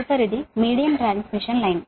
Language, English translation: Telugu, next is: next is the medium transmission line